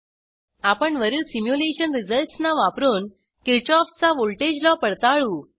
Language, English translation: Marathi, If both the results are equal then Kirchoffs voltage law is verified